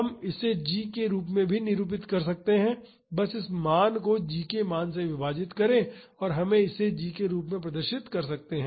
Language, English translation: Hindi, We can also represent this in terms of g just divide this value by the value of g and we can represent this in terms of g